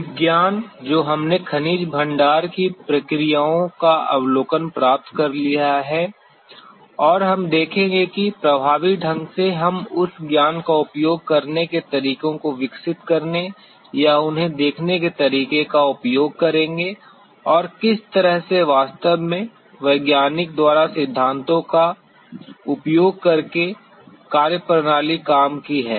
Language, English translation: Hindi, The science that we have acquired an overview of the processes form mineral deposits and we will see how effectively we will be in a position to utilize that knowledge to develop the methodologies or to see them and how the methodology actually worked by using principles using the scientific principles that we learnt about mineral deposit formation in general